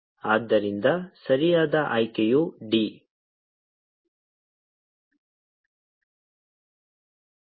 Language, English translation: Kannada, so the correct option is d